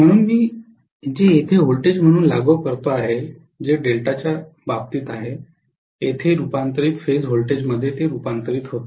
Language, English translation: Marathi, So what I apply as the line voltage which is actually here is converted into transformed phase voltage as far as delta is concerned